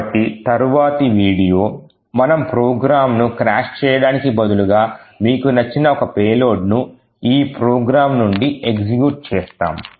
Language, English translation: Telugu, So, the next video we will see that instead of just crashing the program we will force one particular payload of our choice to execute from this program